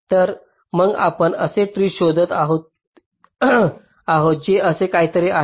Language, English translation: Marathi, so so what we are looking for is a tree which is something like this